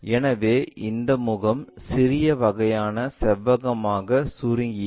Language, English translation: Tamil, So, this face shrunk to the small kind of rectangle